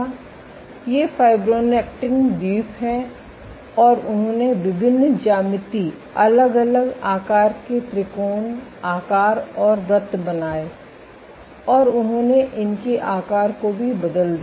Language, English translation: Hindi, So, these are fibronectin islands and they generated various geometries different shapes triangles, rectangles and circles, and they also altered the sizes of these